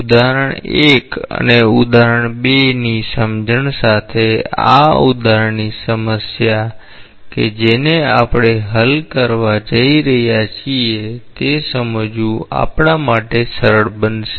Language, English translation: Gujarati, With understanding of example 1 and example 2, this example problem that we are going to solve it will be easy for us to appreciate